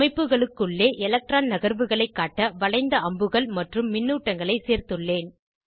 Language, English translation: Tamil, I had added curved arrows and charges to show electron shifts within the structures